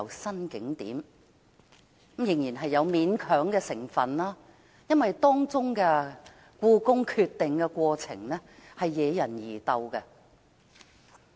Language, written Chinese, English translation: Cantonese, 可是，當中仍有勉強的成分，原因是這項決定的過程惹人疑竇。, Nonetheless this proposal involves an element of reluctance because the decision - making process was called into question